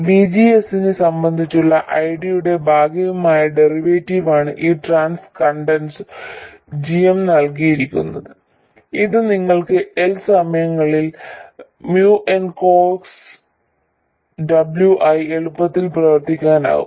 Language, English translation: Malayalam, This transconductance GM is given by the partial derivative of ID with respect to VGS which you can easily work out to be Mion Ciox W